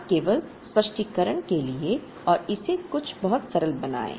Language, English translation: Hindi, Now, just for the sake of explanation and make it very simple